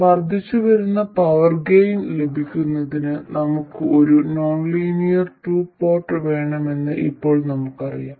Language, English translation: Malayalam, We now know that in order to have incremental power gain, we need to have a nonlinear 2 port